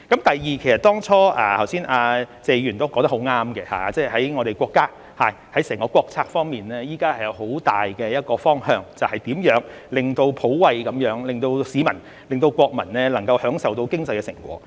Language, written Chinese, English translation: Cantonese, 第二，其實剛才謝議員都說得很對，在我們國家層面，在整個國策方面，現時是有個很大的方向，便是如何普惠地令市民、國民能夠享受到經濟的成果。, Secondly Mr TSE was right in saying that at the national level there is a major direction in the overall national policies right now ie . how to enable the public and citizens to enjoy the fruits of economic prosperity in a universal manner